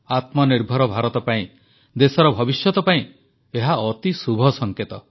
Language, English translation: Odia, This is a very auspicious indication for selfreliant India, for future of the country